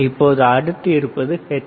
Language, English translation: Tamil, Now, next one would be your hertz